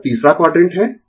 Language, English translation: Hindi, This is third quadrant